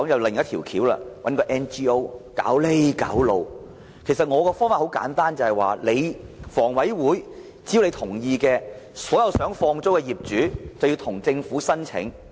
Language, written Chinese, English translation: Cantonese, 其實，我建議的方法很簡單，只要香港房屋委員會同意，所有想放租的業主可以向政府申請。, In fact my proposal is very simple and subject to the approval of Hong Kong Housing Authority HA owners who are interested to sublet their HOS flats may apply to the Government